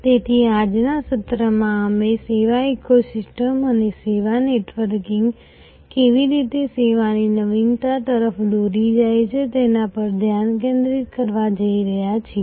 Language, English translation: Gujarati, So, today's session we are going to focus on how the service ecosystem and networking of services lead to service innovation